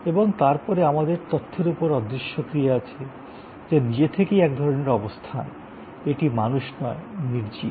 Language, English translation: Bengali, And then, we have intangible action on information, which is by itself a kind of a position, it is inanimate not people